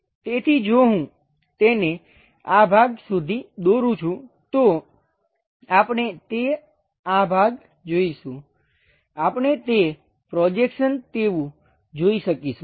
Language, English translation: Gujarati, So, if I am drawing it up to this portion, we will see something like that and this portion, we will be in a position to see like a projection like that